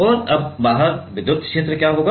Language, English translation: Hindi, And now, what will be the electric field outside